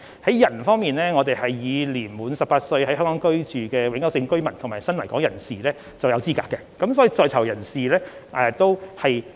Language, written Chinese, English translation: Cantonese, 在人方面，年滿18歲、在香港居住的永久性居民及新來港人士均符合資格，所以在囚人士也包括在內。, As to people Hong Kong permanent resident and new arrivals aged 18 or above are all eligible so inmates should also be included